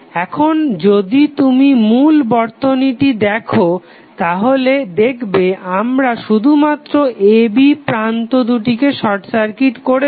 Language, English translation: Bengali, Now, if you see the original circuit we have just simply short circuited the terminal a, b